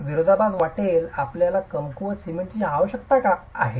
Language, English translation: Marathi, It may sound like a paradox why would you need weak cement